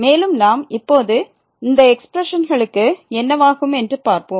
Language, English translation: Tamil, And now we want to see that what will happen to these expressions